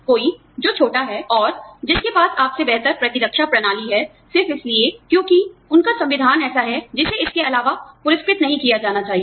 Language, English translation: Hindi, Somebody, who is younger, and who has a better immune system, than you, just because, their constitution is such, should not be rewarded, additionally